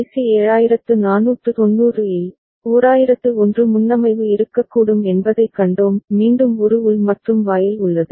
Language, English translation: Tamil, And in IC 7490, we had seen that there can be a preset of 1001 as well; again there is an internal AND gate